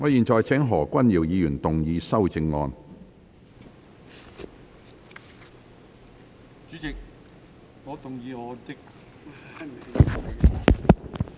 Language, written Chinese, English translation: Cantonese, 我現在請何君堯議員動議修正案。, I now call upon Dr Junius HO to move an amendment